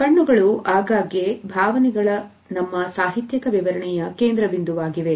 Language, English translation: Kannada, Eyes have often been the focus of our literary interpretation of emotions also